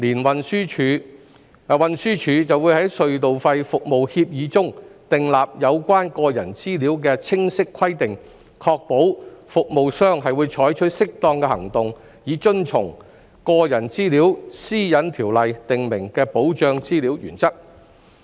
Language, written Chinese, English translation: Cantonese, 運輸署會在隧道費服務協議中訂立有關個人資料的清晰規定，確保服務商會採取適當行動以遵從《個人資料條例》訂明的保障資料原則。, TD will specify clearly in the toll service agreement requirements in relation to personal data to ensure that a Toll Service Provider will take appropriate actions to comply with the Data Protection Principles under the Personal Data Privacy Ordinance